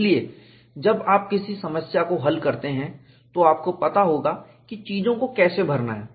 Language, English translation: Hindi, So, when you solve a problem, you would know how to fill in the quantities